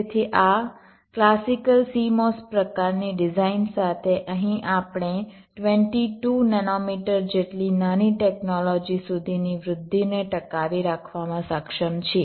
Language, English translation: Gujarati, so with this classical cmos kind of design we have here we have been able to sustain the growth up to as small as twenty two nanometer technology